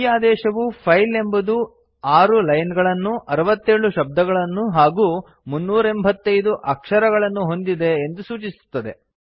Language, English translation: Kannada, The command points out that the file has 6 lines, 67 words and 385 characters